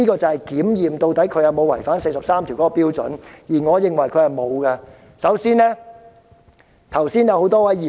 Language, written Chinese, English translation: Cantonese, 這是衡量她有沒有違反第四十三條的標準，而我認為她沒有做到。, This is the criterion for determining whether she has violated Article 43 which in my opinion she has failed to meet